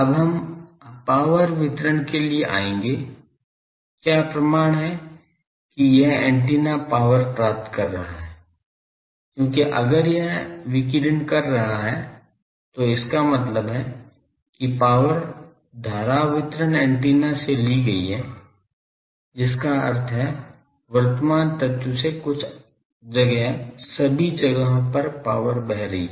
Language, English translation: Hindi, Now, we will come to the power distribution that, what is the proof that this antenna is getting power because if we it is radiating means power is taken from the current distribution antenna that means, current element to some space, to all the places the power is flowing